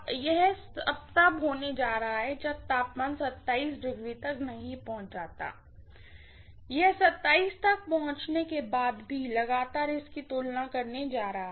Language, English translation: Hindi, This is going to take place until the temperature reaches 27, after it reaches 27 also continuously it is going to compare it, right